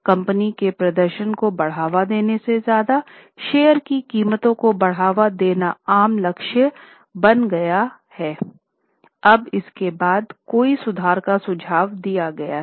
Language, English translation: Hindi, So, the common goal had become to boost stock prices rather than really to boost the performance of the company